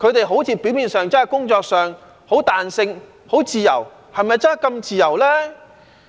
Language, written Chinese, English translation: Cantonese, 好像表面上，他們工作上很彈性、很自由，是否真的這麼自由呢？, Apparently they have much flexibility and freedom at work . But do they really enjoy so much freedom?